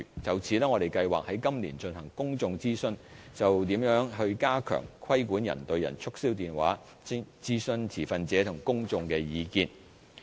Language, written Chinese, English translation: Cantonese, 就此，我們計劃在今年進行公眾諮詢，就如何加強規管人對人促銷電話，徵詢持份者和公眾的意見。, In this connection we plan to commence a consultation this year to solicit views from stakeholders and the public on how to strengthen regulation on person - to - person telemarketing calls